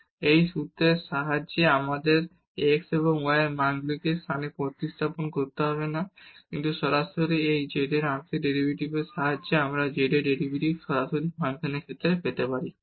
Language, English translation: Bengali, And, with this formula we do not have to substitute the values of these x and y into the function, but directly with the help of the partial derivatives of this z we can get the derivative of z directly with respect to the function t